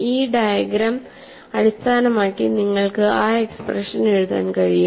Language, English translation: Malayalam, So, based on this diagram, it is possible for you to write that expression